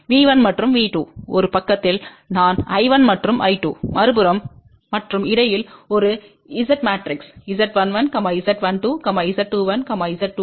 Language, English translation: Tamil, V 1 and V 2 are on one side, I 1 and I 2 are on the other side and in between there is a Z matrix Z 11, Z 12, Z 21, Z 22